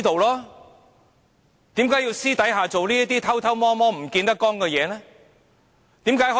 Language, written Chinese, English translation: Cantonese, 為何他要私下做這些偷偷摸摸，不見得光的事？, He could have made everything public . Why did he take such clandestine actions?